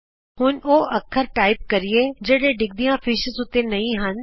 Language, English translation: Punjabi, Now lets type a character that is not part of a falling fish